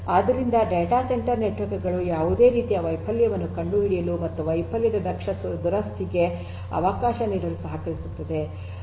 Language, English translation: Kannada, So, you know data centre networks should be able to detect any kind of failure and should be if should offer efficient repair of failure